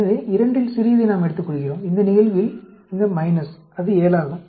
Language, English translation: Tamil, So, we take the smaller of the two, in this case the minus, which is 7